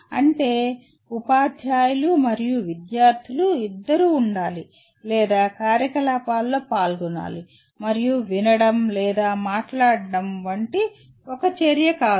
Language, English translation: Telugu, That means both teachers and student should be or should be involved in activities and not one activity like only listening or speaking